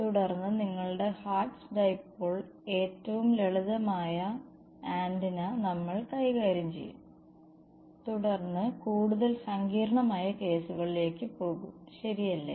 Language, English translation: Malayalam, And then we will deal with the simplest antenna which is your hertz dipole and then go to more complicated cases right